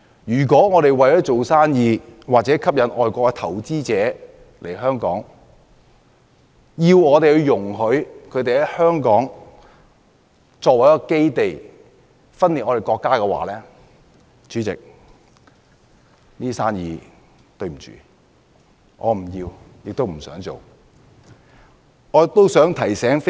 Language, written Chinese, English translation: Cantonese, 如果我們為了做生意或吸引外國投資者來港，而要容許他們以香港作為基地、分裂國家，很抱歉，我不想要這些生意。, If we for the sake of doing business or attracting foreign investors to Hong Kong must allow people to use Hong Kong as a base to split up the country I am sorry that I do not want such business